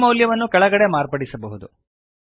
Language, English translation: Kannada, This value can be modified below